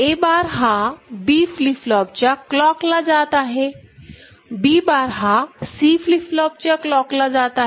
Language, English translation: Marathi, A bar is going to the clock of B flip flop, and B bar is going to the clock of C flip flop, right